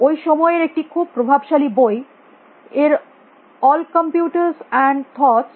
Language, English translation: Bengali, A very influential book all computers and thought by